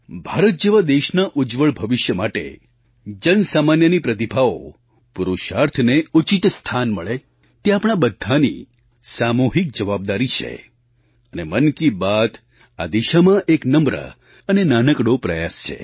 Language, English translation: Gujarati, For ensuring a bright future for a country such as India, it isour collective responsibility to acknowledge and honour the common man's talent and deeds and Mann Ki Baat is a humble and modest effort in this direction